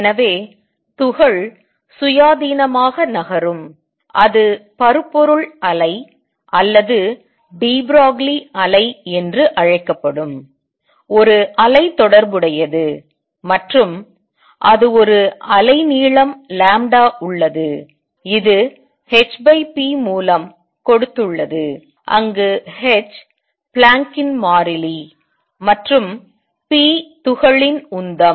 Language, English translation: Tamil, So, particle is moving independently it has a wave associated which is known as matter wave or de Broglie wave, and it has a wave length lambda which has given by h by p where h is the Planck’s constant, and p is the momentum of the particle